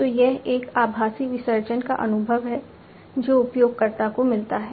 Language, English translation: Hindi, So, it is a virtual immersion kind of experience that the user gets